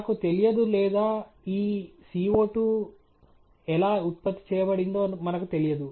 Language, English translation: Telugu, I do not know or we do not know how this CO 2 was generated